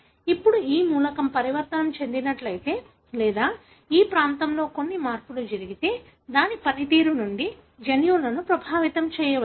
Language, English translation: Telugu, Now, such element if this is mutated or some changes happen in this region, may affect the gene from its functioning